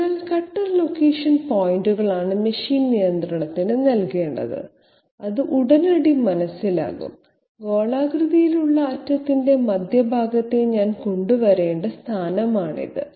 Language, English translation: Malayalam, So cutter location points are the ones which should be given to the machine control, it will immediately understand yes this is the position to which I have to bring the centre of the spherical end